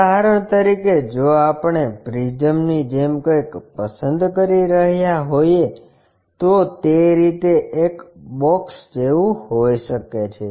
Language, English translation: Gujarati, For example, if we are picking something like a prism maybe a box in that way